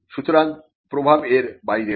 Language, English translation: Bengali, So, the effect is beyond that